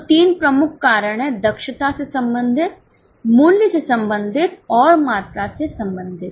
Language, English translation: Hindi, So, there are three major reasons, efficiency related, price related and volume related